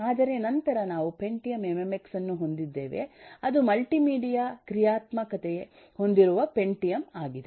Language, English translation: Kannada, But then we have pentium mmx, which is pentium with multimedia functionality